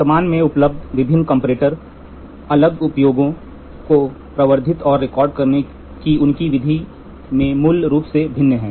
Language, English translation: Hindi, Various comparators currently available basically differ in their method of amplifying and recording the variation measures